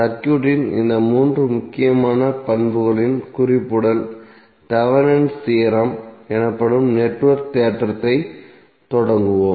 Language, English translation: Tamil, So with the reference of these three important properties of the circuit let us start the network theorem which is called as thevenins theorem